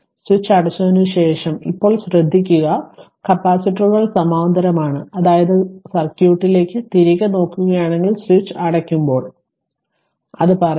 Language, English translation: Malayalam, Now also note after the switch is closed the capacitors are in parallel, we have an equivalent capacitance; that means, when look if we go back to the circuit that when switch is closed when switch is closed say it is ah